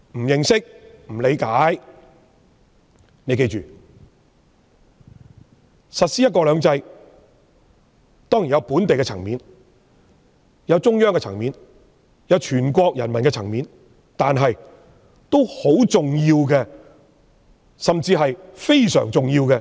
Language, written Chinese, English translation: Cantonese, 要記住，實施"一國兩制"當然涉及本地及中央的層面；既涉及全國人民的意見，國際社會的看法亦非常重要。, Please bear in mind that the implementation of one country two systems certainly has implications at the local and national levels . The views of both the Chinese nationals and the international community are very important